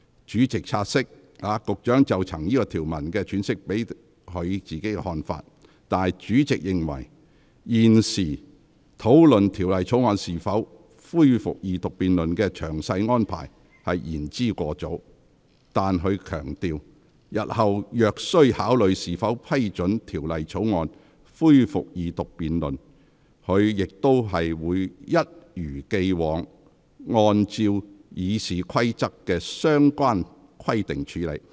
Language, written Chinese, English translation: Cantonese, 主席察悉，局長曾就該條文的詮釋表達其看法。主席認為，現時討論條例草案恢復二讀辯論的詳細安排，仍言之尚早，但他強調，日後若須考慮是否批准條例草案恢復二讀辯論，他定必一如既往，按照《議事規則》的相關規定處理。, Noting that the Secretary has expressed his views on the interpretation of the provision the President considers it still too early to discuss the detailed arrangements for the resumption of the Second Reading debate on the Bill but he has stressed that if it is necessary in future to consider allowing the resumption of the Second Reading debate on the Bill he will definitely handle it in accordance with the relevant provisions of the Rules of Procedure as ever